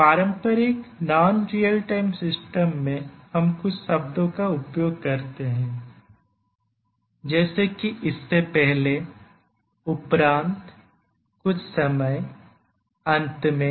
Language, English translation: Hindi, In a traditional non real time system we use terms like before, after, sometime, eventually